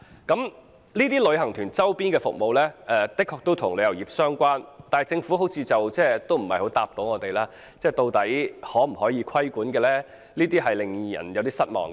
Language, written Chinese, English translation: Cantonese, 這些旅行團周邊的服務的確與旅遊業相關，但政府似乎無法回答究竟可否規管這類服務，令人有點失望。, The peripheral services of tour groups are indeed related to the travel industry but it seems that the Government cannot tell us whether such services can be put under regulation much to our dismay